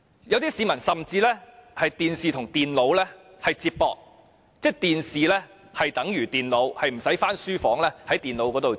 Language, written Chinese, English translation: Cantonese, 有些市民甚至把電視機與電腦連接起來，即是電視可以取代電腦，他們不一定要回書房用電腦工作。, Some people even connect TV to computer meaning that TV can replace computer and they do not need to work on the computer in the study room